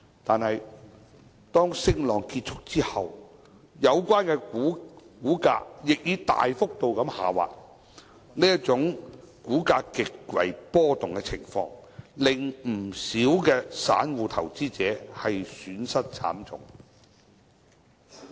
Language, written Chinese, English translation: Cantonese, 但是，當升浪結束後，有關股價亦大幅度下滑，這種股價極為波動的情況，令不少散戶投資者損失慘重。, However after this rising wave the share prices concerned will plunge remarkably . Due to such cases of extreme volatility in share prices many retail investors sustain huge losses